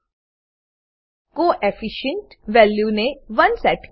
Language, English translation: Gujarati, Set the Co efficient value to one